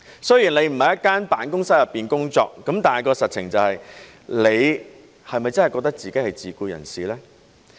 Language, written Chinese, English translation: Cantonese, 雖然你不是在一間辦公室工作，但實情是，你是否真的覺得自己是自僱人士呢？, While platform workers do not work in an office setting will they consider themselves to be self - employed in reality?